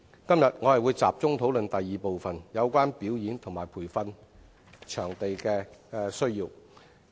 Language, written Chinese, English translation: Cantonese, 今天，我會集中討論第二部分有關表演及培訓場地的需要。, Today I will focus on the second request pertaining to the demand for performance and training venues